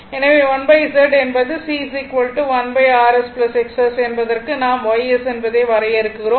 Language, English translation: Tamil, So, 2 upon Z means for C is equal to 1 upon R S plus jX S this we define Y S